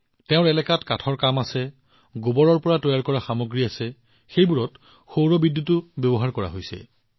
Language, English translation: Assamese, There is timber work in their area, there are products made from cow dung and solar electricity is also being used in them